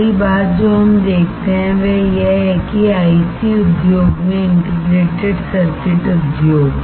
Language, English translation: Hindi, The first thing that we see is that in the IC industry Integrated Circuit industry